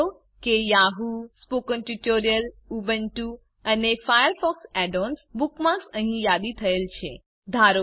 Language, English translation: Gujarati, Notice that the Yahoo, Spoken Tutorial, Ubuntu and FireFox Add ons bookmarks are listed here